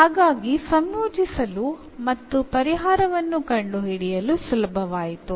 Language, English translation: Kannada, So, it was easy to integrate and find the solution